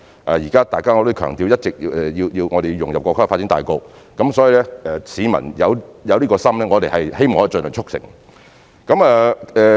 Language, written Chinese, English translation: Cantonese, 我也一直強調我們要融入國家的發展大局，所以當市民有這心意時，我們也希望可以盡量促成這事。, I always emphasize that we must integrate with the general development of the country and thus when the public wants to do so we hope we can facilitate their efforts as much as possible